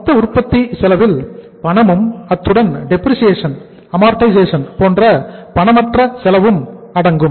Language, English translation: Tamil, Total cost of production includes the cash as well as the non cash cost so like depreciation, amortization